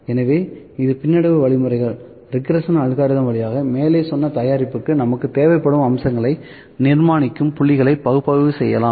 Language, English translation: Tamil, So, this via regression algorithms, the points can be analyzed for construction of the features that we finally need them above product